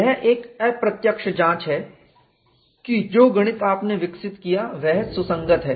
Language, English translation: Hindi, It is an indirect check that the mathematics what you have developed is consistent, there are no contradictions